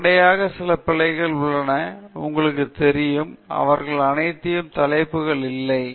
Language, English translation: Tamil, So, few errors that are there immediately are that, you know, not all of them have the headings, not all of them have units